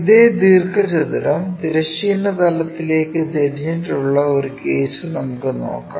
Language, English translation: Malayalam, Let us look at if the same rectangle is inclined to horizontal plane